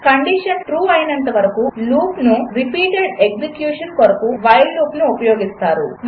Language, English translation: Telugu, The while loop is used for repeated execution as long as a condition is True